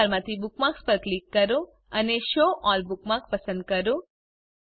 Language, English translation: Gujarati, From Menu bar, click on Bookmarks and select Show All Bookmarks